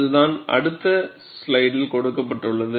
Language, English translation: Tamil, And that is what is given in the next slide